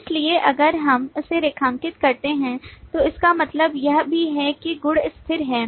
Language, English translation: Hindi, So if we underline that, that also means that the property is static